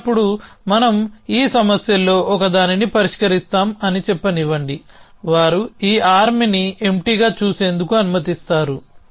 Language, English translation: Telugu, Then let us say that so let us say that we address one of these issues they lets a we looking at this arm empty